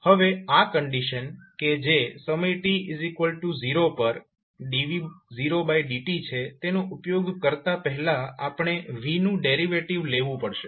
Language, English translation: Gujarati, Now before using this condition that is the dv by dt at time t is equal to 0 we have to first take the derivate of v